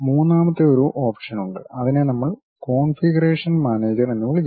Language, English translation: Malayalam, And there is a third one option, that is what we call configuration manager